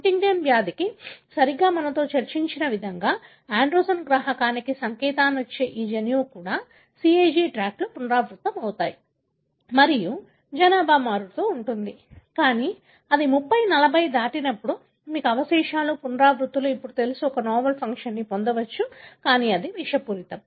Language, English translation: Telugu, Exactly the way we discussed for Huntington disease, these gene which codes for the androgen receptor also has got, you know, CAG tracts, repeats and vary in the population, but when it exceeds 30, 40, you know residues, repeats, then it could gain a novel function, which is toxicity